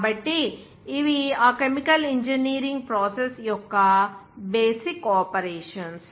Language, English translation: Telugu, So, these are the basic operations of that chemical engineering process